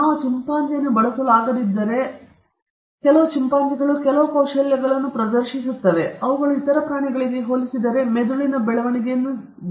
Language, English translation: Kannada, If we cannot use chimpanzees, because some chimpanzees exhibit certain skills, which are evidence which suggest that their brain is quite advanced compared to other animals